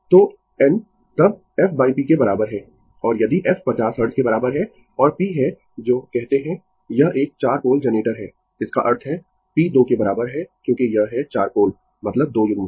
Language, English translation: Hindi, So, n is equal to then f by p and if f is equal to 50 Hertz and p is your what to call it is a 4 pole generator; that means, p is equal to 2 because it is four pole means 2 pairs